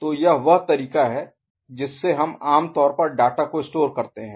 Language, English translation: Hindi, So, that is the way we usually store the data right